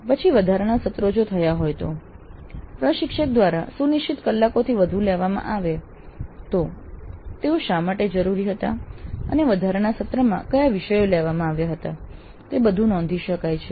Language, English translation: Gujarati, Then additional sessions if they are conducted by the instructor beyond the scheduled hours, why they were required and on what topics the additional sessions were taken up, that all can be recorded